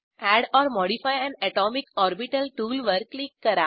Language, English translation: Marathi, Click on Add or modify an atomic orbital tool